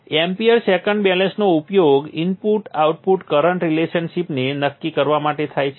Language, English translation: Gujarati, The AM second balance is used to determine the input of current relationship